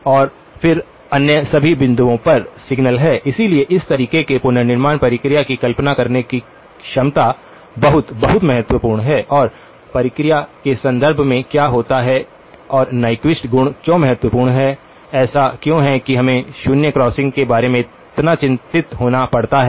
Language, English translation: Hindi, And then at all the other points (()) (26:12) signal, so the ability to visualise the reconstruction process in this manner is very, very important and what happens in terms of the process and why is the Nyquist property is so important, why is it that we have to worry so much about the zero crossings